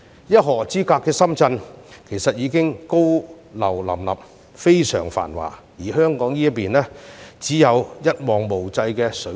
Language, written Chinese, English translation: Cantonese, 一河之隔的深圳其實已高樓林立，非常繁華，但香港這邊卻只有一望無際的水田。, While there are skyscrapers everywhere in the prosperous city of Shenzhen on the opposite bank all we can see on this side in Hong Kong are just vast and boundless paddy fields